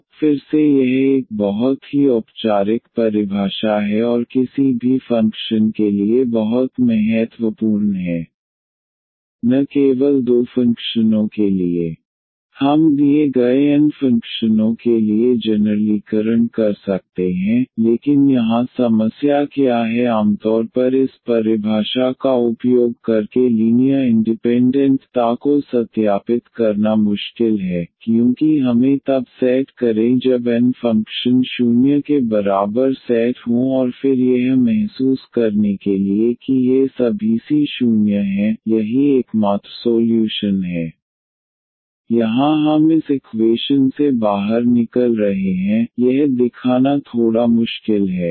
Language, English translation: Hindi, So, again this is a very formal definition and very important for any functions not only for two functions we can generalize for given n functions, but what is the problem here usually this is difficult to verify the linear independence using this definition because we have to set when there are n functions set to equal to 0 and then to realize that all these c’s are 0, that is the only solution here we are getting out of this equation it is little bit difficult to show